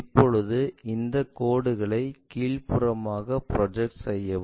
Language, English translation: Tamil, Now, project these lines all the way down